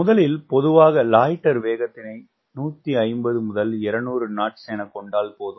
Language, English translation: Tamil, generally it is best to assume loiter speed around one fifty to two hundred knots